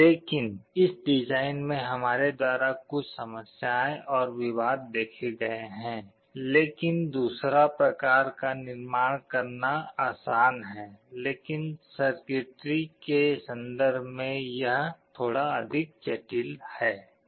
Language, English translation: Hindi, But there are some problems and issues in the design we shall see, but the second type is easier to build, but it is a little more complex in terms of the circuitry